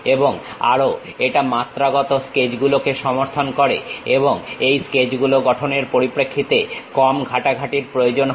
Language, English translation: Bengali, And also, it supports dimensional sketching and creates less handling in terms of constructing these sketches